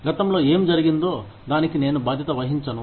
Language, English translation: Telugu, I am not responsible for, what happened in the past